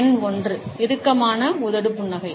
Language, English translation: Tamil, Number 1, the tight lipped smile